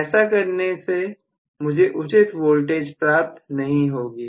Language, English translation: Hindi, So, I may not be able to really see any proper voltage